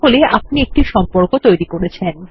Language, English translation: Bengali, So there, we have set up one relationship